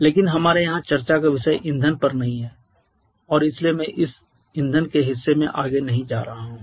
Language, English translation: Hindi, But our point of discussion here is not on fuel and therefore I am not going into any further going any further into this fuel part